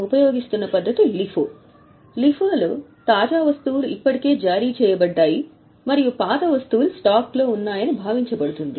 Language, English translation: Telugu, Whereas in LIFO, it is assumed that the latest items have already been issued and the oldest items are in stock